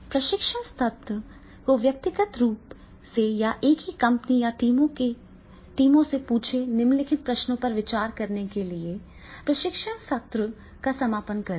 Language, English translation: Hindi, Conclude the training session by asking trainees either individually or in the teams from the same company or work group to consider the following question